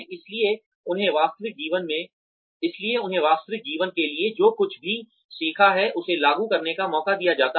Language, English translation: Hindi, So, that is, they are given a chance to apply, whatever they have learned, to real life